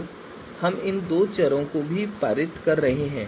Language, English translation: Hindi, So we are passing these two variables as well